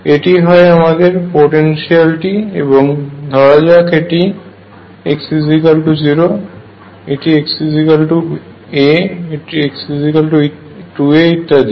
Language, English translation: Bengali, This is a potential, let us say this is at x equals 0 x equals a x equals 2 a and so on